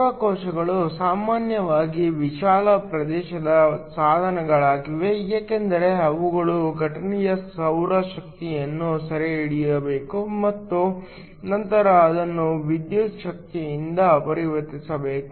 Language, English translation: Kannada, Solar cells are usually wide area devices because they need to capture as much as the incident solar energy and then convert it into electrical energy